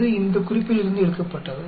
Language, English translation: Tamil, This is taken from this reference